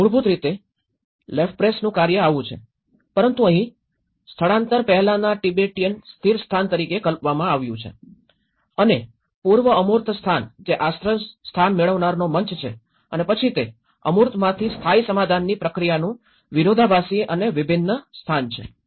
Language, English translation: Gujarati, So, originally the Lefebvreís work is like this but in here it has been conceptualized from the absolute space which the Tibet before migration and the pre abstract space which is an asylum seeker stage and then this is where the permanent settlement process from the abstract and the conflicted and a differential space